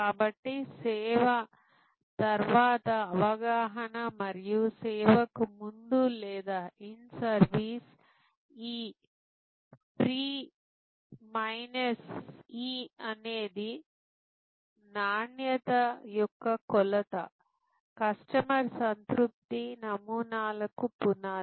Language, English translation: Telugu, So, perception after service and expectation before service or in service this P minus E is the measure of quality is the foundation of customer satisfaction models